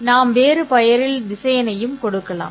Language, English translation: Tamil, The result is actually a vector